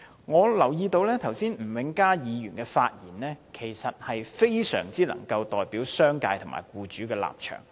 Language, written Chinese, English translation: Cantonese, 我留意到吳永嘉議員剛才的發言，其實非常能夠代表商界和僱主的立場。, I have taken note of the speech made just now by Mr Jimmy NG which can adequately illustrate the positions of the business sector and employers